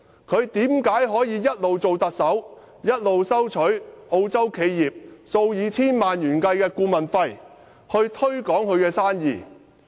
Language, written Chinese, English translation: Cantonese, 為何他可以在擔任特首期間，收取澳洲企業數以千萬元計的顧問費，推廣他們的生意？, While he is acting as the Chief Executive how come he can receive a consultant fee amounting to several hundred thousand dollars from an Australian enterprise to promote its business?